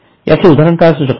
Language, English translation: Marathi, What can be an example